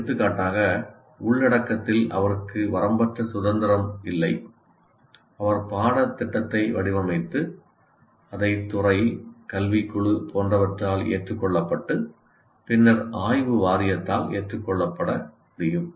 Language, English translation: Tamil, For example, if you take the content, though he doesn't have unlimited freedom, but he can design the course and have it vetted by the department academic committee or whatever that you have, and subsequently it will get vetted by what do you call board of studies